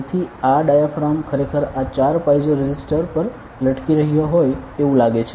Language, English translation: Gujarati, So, this diaphragm is actually like hanging on this 4 piezo resistors ok